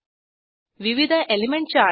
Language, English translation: Marathi, Different Element charts